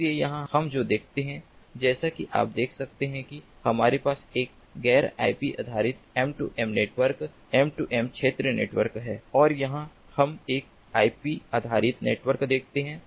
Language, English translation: Hindi, so here what we see is, as you can see over, here we have a non ip based m two m network, m two m area network, and here we see an ip based network and this application layer basically seamlessly integrates these two